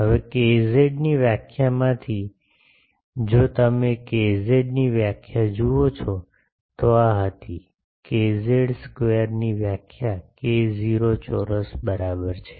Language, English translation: Gujarati, Now from the definition of k z, if you see the definition of k z, this was the definition of k z k z square is equal to k 0 square a